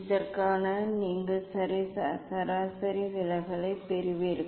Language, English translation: Tamil, And for this you will get the mean deviation